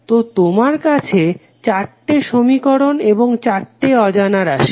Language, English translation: Bengali, So, you have four final equations and you have four unknowns